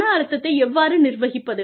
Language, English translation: Tamil, How do you manage stress